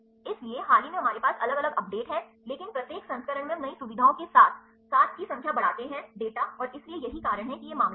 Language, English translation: Hindi, So, there is a recent we have the different updates, but each version we introduce new features as well as a increase the number of data and so, this is the reason why it case